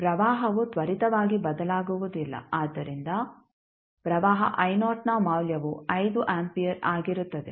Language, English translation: Kannada, The current cannot change instantaneously so the value of current I naught will be 5 ampere